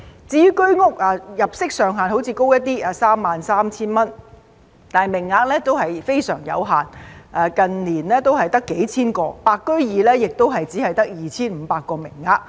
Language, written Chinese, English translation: Cantonese, 至於居屋，雖然入息上限較高，即 33,000 元，但名額非常有限，近年只有幾千個，"白居二"亦只有 2,500 個名額。, As for units under the Home Ownership Scheme HOS despite a higher income ceiling of 33,000 the quota is very limited with just a few thousand units in recent years and only 2 500 units under the White Form Secondary Market Scheme